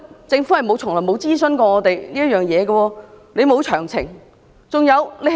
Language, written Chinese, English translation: Cantonese, 政府從沒諮詢過我們，也沒有提供詳情。, The Government has never consulted us or presented the details